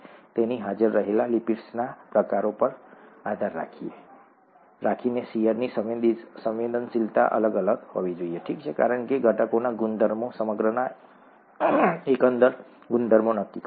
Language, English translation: Gujarati, So depending on the types of lipids that are present, the shear sensitivity should vary, okay, because the properties of the constituents determine the overall properties of the whole